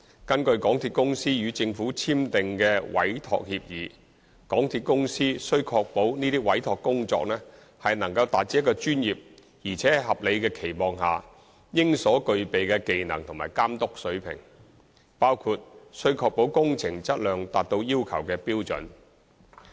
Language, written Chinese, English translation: Cantonese, 根據港鐵公司與政府簽訂的委託協議，港鐵公司須確保這些委託工作能達至一個專業而在合理的期望下應所具備的技能和監督水平，包括須確保工程質量達到要求的標準。, According to the Entrustment Agreement signed between MTRCL and the Government MTRCL warrants that the Entrustment Activities shall be carried out with the skill and care reasonably to be expected of a professional including the assurance of quality of works up to the standards required